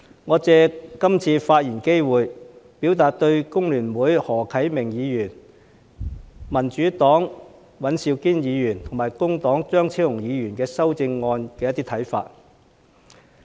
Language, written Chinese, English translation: Cantonese, 我想借這次發言機會表達我對工聯會的何啟明議員、民主黨的尹兆堅議員，以及工黨的張超雄議員的修正案的一些看法。, I would like to take this opportunity to express my views on the amendments proposed by Mr HO Kai - ming of the Hong Kong Federation of Trade Unions FTU Mr Andrew WAN of the Democratic Party and Dr Fernando CHEUNG of the Labour Party